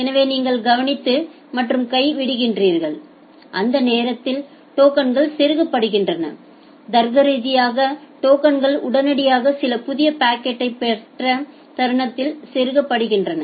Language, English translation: Tamil, So, you are observing and drop and during that time the tokens are getting inserted the logical tokens are getting inserted the moment you got some new packet immediately